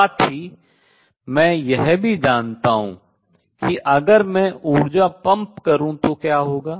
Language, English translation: Hindi, At the same time I also know what happens if I pump in energy right